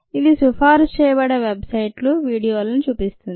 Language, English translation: Telugu, this one says websites videos recommended